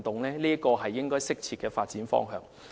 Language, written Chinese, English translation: Cantonese, 這是適切的發展方向。, This is a suitable development direction